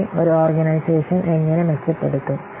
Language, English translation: Malayalam, Then how an organization will be improved